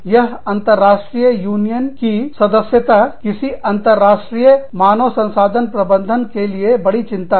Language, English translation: Hindi, And, that international union membership, is one big concern, for any international human resources manager